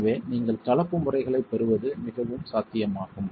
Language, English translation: Tamil, So this is quite possible that you get mixed modes